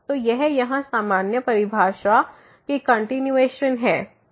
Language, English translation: Hindi, So, this is just the continuation of this rather general definition here